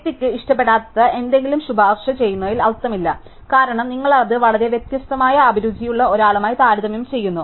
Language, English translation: Malayalam, There is no point recommending something that the personal is not going to like because you comparing it with somebody who has very different taste